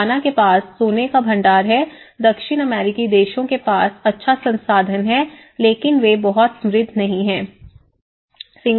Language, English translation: Hindi, Ghana have the gold reserves the South American countries have good resource but they are not very rich